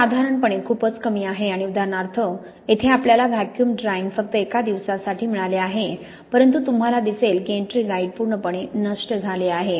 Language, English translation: Marathi, This is generally much lower and for example here we have got vacuum drying only for one day but you see the ettringite has been completely destroyed